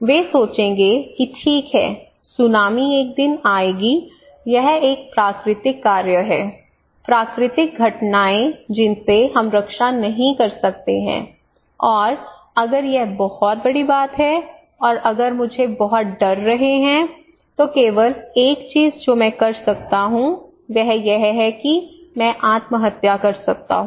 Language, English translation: Hindi, They will think okay tsunami will come one day it is a natural act, natural phenomena we cannot protect and if it is too big and if I have lot of fear the only thing I can do is I can surrender it is like committing suicide I am a fatalist